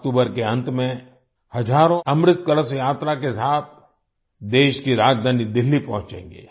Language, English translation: Hindi, At the end of October, thousands will reach the country's capital Delhi with the Amrit Kalash Yatra